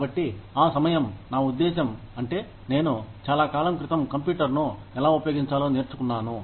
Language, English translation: Telugu, So, that was the time, I mean, that is how, I learnt, how to use a computer, long time back